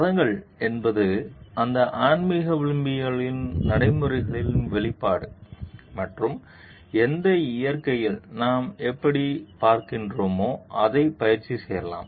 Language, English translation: Tamil, Religions are just the practices expression of those spiritual values and how like we see in what nature it can be practiced